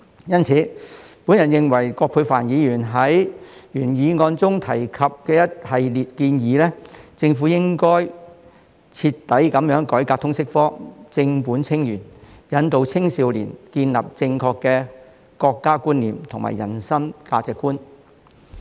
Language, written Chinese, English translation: Cantonese, 因此，我認同葛珮帆議員在原議案中提及的一系列建議，政府應該徹底改革通識科，正本清源，引導青少年建立正確的國家觀念和人生價值觀。, Thus I agree with Ms Elizabeth QUATs series of proposals in the original motion that the Government should thoroughly reform the LS subject tackle the problems at root and guide young people to develop a correct understanding of the nation and outlook on life